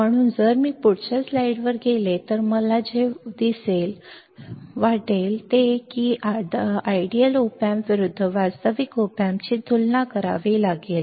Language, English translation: Marathi, So, if I if I go to the next slide what I will see ill see that I had to compare the ideal op amp versus real op amp